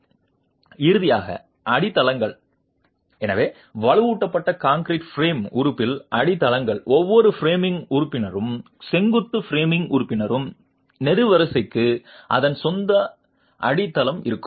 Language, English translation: Tamil, So, foundations in a reinforced concrete frame element, each framing member, vertical framing member, the column would have its own foundation